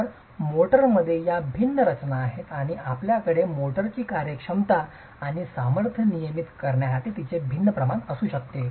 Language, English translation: Marathi, So these are the different compositions in the motor and you can have varying proportions of these to regulate workability and strength of the motor